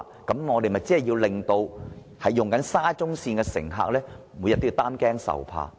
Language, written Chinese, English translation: Cantonese, 否則，豈不是令沙中線的乘客每天也擔驚受怕？, If not will SCL passengers be left in a state of anxiety every day?